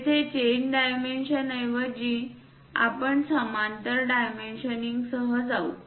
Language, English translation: Marathi, Here, representing chain dimension instead of that we go with parallel dimensioning